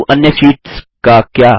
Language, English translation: Hindi, But what about the other sheets